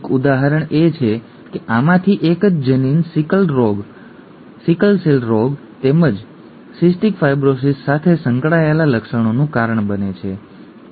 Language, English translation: Gujarati, An example is from this the same gene causes symptoms associated with sickle cell disease as well as cystic fibrosis, okay